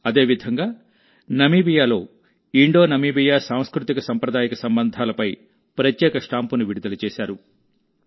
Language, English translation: Telugu, Similarly, in Namibia, a special stamp has been released on the IndoNamibian culturaltraditional relations